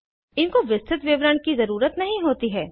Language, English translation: Hindi, They dont need a detailed description